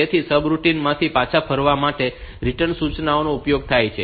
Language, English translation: Gujarati, So, return instruction is used for returning from the subroutine